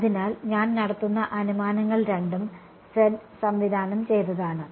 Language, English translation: Malayalam, So, the assumptions I will make are both are z directed